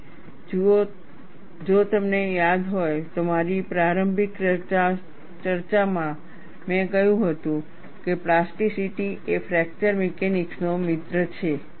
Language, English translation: Gujarati, See, if you recall, in my early discussion, I have said, plasticity is a friend of fracture mechanics